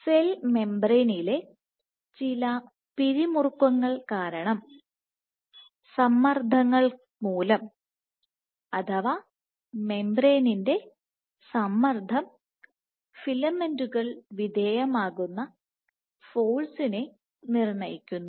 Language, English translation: Malayalam, The wall is nothing, but the cell membrane itself, because of some tension in the cell membrane, tension of the membrane dictates the force the filaments are subjected to